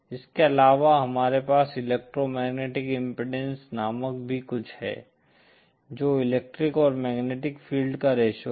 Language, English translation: Hindi, In addition we also have something called electromagnetic impedance which is the ratio of the electric to the magnetic field